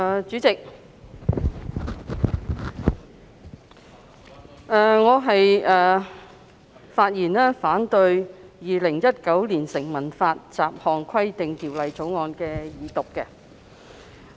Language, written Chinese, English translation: Cantonese, 主席，我發言反對《2019年成文法條例草案》二讀。, President I speak in opposition to the Second Reading of the Statute Law Bill 2019 the Bill